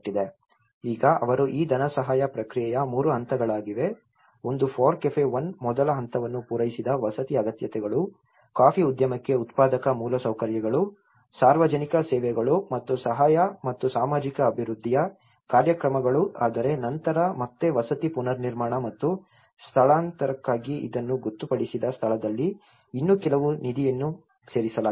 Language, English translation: Kannada, Now, they have been 3 phases of this funding process, one is the FORECAFE 1 which has met the first stage met the housing needs, productive infrastructures for the coffee industry, public services and programmes of assistance and social development whereas, again therefore later on some more fund has been added this is where it was designated for housing reconstruction and relocation